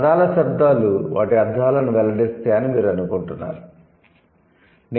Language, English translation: Telugu, So, do you think the words, sorry, the sounds of words reveal their meanings